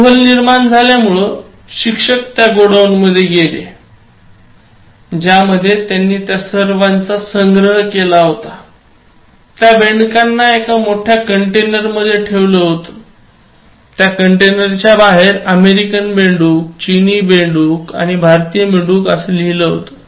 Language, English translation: Marathi, So out of curiosity, the teacher went to that godown, in which he had stored all of them, so they are kept in huge containers and outside the label was written as American frog, Chinese frog and Indian frog